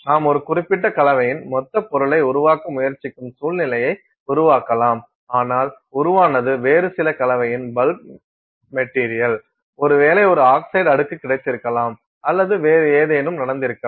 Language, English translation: Tamil, You can create a situation where you are trying to make a bulk material of a certain composition, but what is formed is a bulk material of some other composition; maybe it is a got an oxide layer or some other such thing is happening